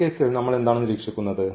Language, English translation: Malayalam, So, now what do we observe in this case